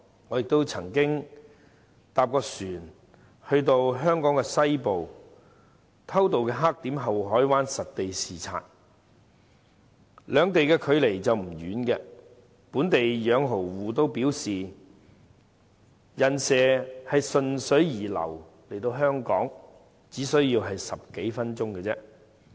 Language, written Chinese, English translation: Cantonese, 我曾乘船前往香港西部的偷渡黑點后海灣實地視察，兩地距離不遠，本地養蠔戶也表示"人蛇"順水流游來香港，只需10多分鐘而已。, I used to take a boat to the smuggling black spot in Deep Bay for the purpose of a site inspection . The two places are not that far apart . Some local oyster farmers told me that illegal entrants would swim to Hong Kong with the current and that would only take a little more than 10 minutes